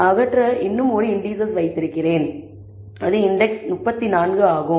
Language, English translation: Tamil, So, I also have one more index to remove, which is index 34